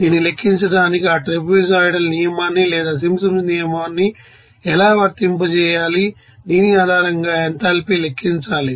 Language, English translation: Telugu, Now, how to actually apply that you know trapezoidal rule or Simpsons rule to calculate this, you know enthalpy based on this